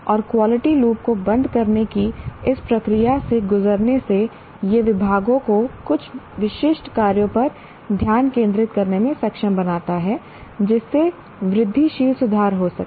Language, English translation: Hindi, And by going through this process of closing the quality loop, the departments, it enables the departments to focus on some specific actions leading to incremental improvements